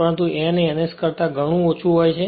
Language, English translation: Gujarati, So, when n is equal to n S